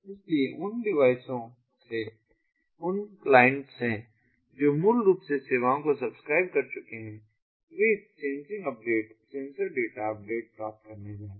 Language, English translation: Hindi, so from these, those devices, those clients which have, which have basically ah subscribed to the services, they are going to get this sensing updates, the sensor data updates